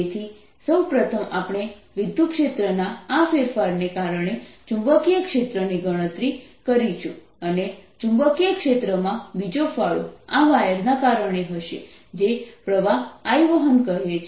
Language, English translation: Gujarati, so we will first calculate the magnetic field due to this change in electric field and the second contribution to the magnetic field will be due to this wire which is carrying current i